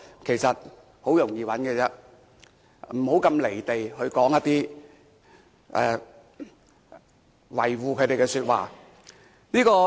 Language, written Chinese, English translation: Cantonese, 其實很容易找到，不要"離地"說一些維護他們的說話。, It is actually very easy to find such people . They must not ignore the reality and speak in defence of such people